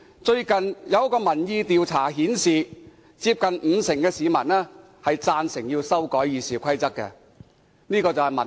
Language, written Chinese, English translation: Cantonese, 最近一項民意調查顯示，接近五成的市民贊成修改《議事規則》，這就是民意。, A recent opinion poll shows that nearly 50 % of the public support amending RoP . This is how the public think